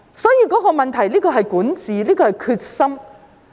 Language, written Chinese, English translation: Cantonese, 所以，問題在於管治和決心。, Therefore what is at issue is governance and determination